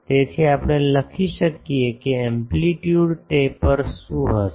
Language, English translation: Gujarati, So, we can write what will be the amplitude taper